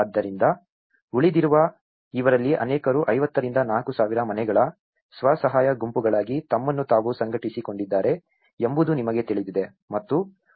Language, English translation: Kannada, So, this is where many of these remaining you know they organized themselves into a self help groups 50 to 4,000 households